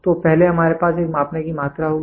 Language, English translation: Hindi, So, first we will have a measuring quantity